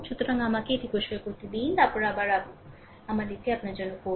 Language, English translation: Bengali, So, let me let me clear it, then again again I will do it for you, right